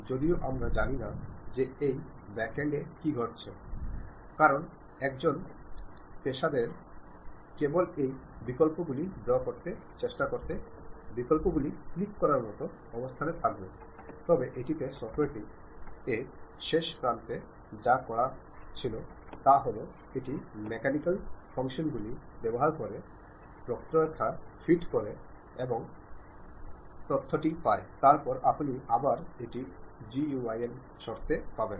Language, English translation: Bengali, Though, we do not know what is happening at that backend, because a professional engineer will be in a position to only click the options try to draw that, but at back end of the software what it does is it uses this mathematical functions try to fit the curve and get the information, then that you will again get it in terms of GUI